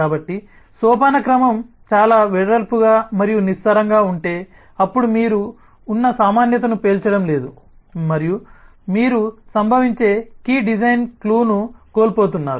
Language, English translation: Telugu, so if the hierarchy is very wide and shallow, then you are not exploding the commonality that exists and you are missing out on key design clue that may happen